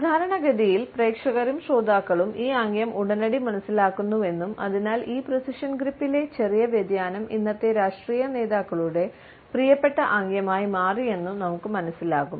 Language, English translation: Malayalam, Normally, we find that audience and listeners understand this gesture immediately and therefore, we find that a slight variation of this precision grip has become a favorite gesture of today’s political leaders